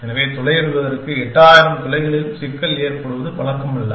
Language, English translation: Tamil, So, it is not uncommon to have a problem with eight thousand holes to be drilled and think like that